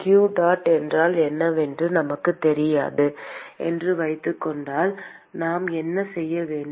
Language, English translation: Tamil, , supposing we do not know what q dot is, what should we do